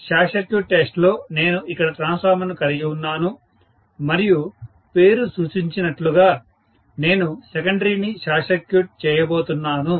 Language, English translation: Telugu, So, in the short circuit test, as the name indicates, I am having the transformer here and I am going to short circuit the secondary